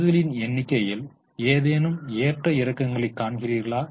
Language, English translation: Tamil, Do you see any moment in the number of shares